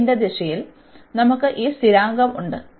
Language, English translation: Malayalam, In the direction of y, we have this constant